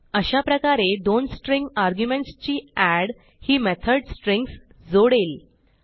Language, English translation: Marathi, So the add method with two string arguments, appends the string